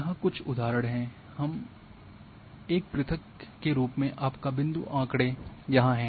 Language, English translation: Hindi, Some examples are here that in a discrete form your point data is here